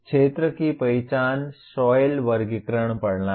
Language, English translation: Hindi, Field identification, soil classification system